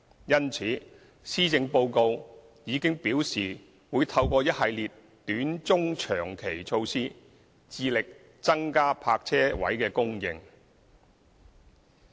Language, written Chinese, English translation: Cantonese, 因此，施政報告已表示會透過一系列短、中、長期措施，致力增加泊車位供應。, Hence it is also proposed in the Policy Address that a series of short - and medium - to long - term measures will be implemented to increase parking spaces as far as possible